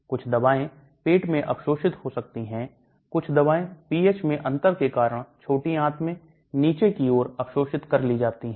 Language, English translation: Hindi, Some drugs may get absorbed in the stomach, some drugs get absorbed down the line into the small intestine because of the differences in pH